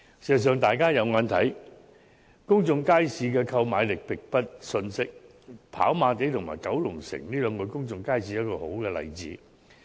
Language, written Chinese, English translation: Cantonese, 事實上，大家都看到，公眾街市的購買力並不遜色，跑馬地和九龍城的公眾街市就是很好的例子。, In fact as we can see the purchasing power of shoppers in public markets is not insignificant . The public markets in Happy Valley and Kowloon City are good examples